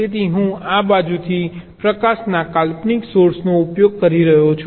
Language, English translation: Gujarati, so i am using an imaginary source of light from this side